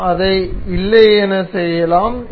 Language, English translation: Tamil, We can do it otherwise